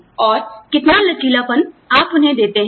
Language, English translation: Hindi, And, how much of flexibility, do you give them